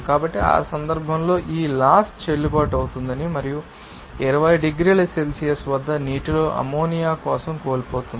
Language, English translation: Telugu, So, in that case, this law loses it is validity and for ammonia in the water at 20 degrees Celsius